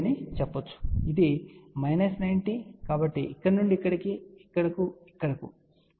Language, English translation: Telugu, So, this is minus 90, so from here to here, to here, to here, to this here